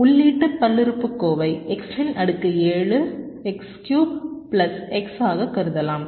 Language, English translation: Tamil, so input polynomial can be regarded as x, seven, x cube plus x